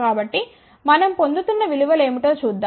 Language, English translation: Telugu, So, let us see what are the values we are getting